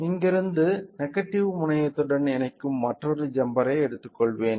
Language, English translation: Tamil, So, I will take another jumper from here connecting it to the negative terminal